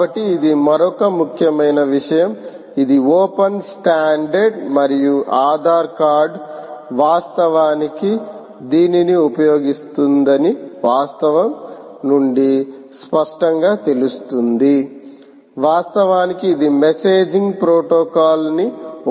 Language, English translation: Telugu, so that is the another important thing: ah, which is quite obvious from the fact that ah the standard is open and also the fact that aadhar card was actually using it right, is actually using this as a messaging protocol